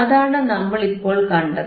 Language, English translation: Malayalam, And that is what we have seen right now